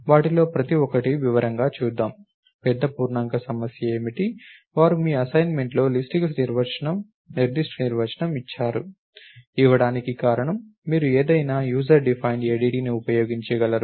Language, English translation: Telugu, So, let us look at each one of them in detail, what are the big int problem, they said a particular definition of list is given in your assignment, try, the reason for giving that it is you should be able to use any user defined ADT